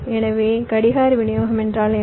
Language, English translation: Tamil, so what do mean by clock distribution